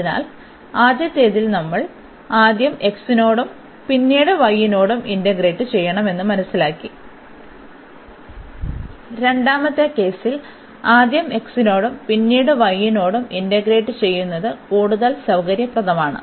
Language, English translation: Malayalam, So, in the first one we have realize that, we should first integrate with respect to x and then with respect to y while, in the second case it is much more convenient to first integrate with respect to x and then with respect to y